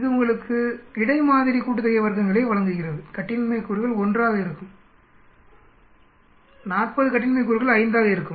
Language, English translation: Tamil, So this gives you the between sample sum of squares, degrees of freedom will be 1, 40 SS degrees of freedom will be 5